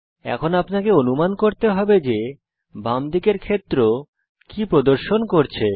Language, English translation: Bengali, By now you would have guessed what the fields on the left hand side indicate